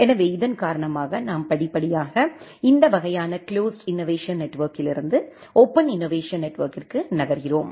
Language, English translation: Tamil, So, because of that we gradually move from this kind of closed innovation network to a open innovation network